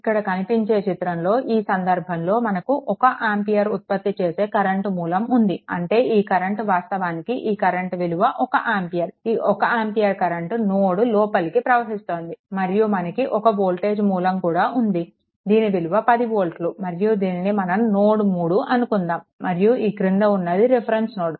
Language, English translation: Telugu, Look, in this case, in this case, you have one current source here for 1 ampere; that means, this current actually this current is one ampere this current is 1 ampere entering into the node, right and next if voltage source is there here 10 volt and this is your node 3 and this is your reference node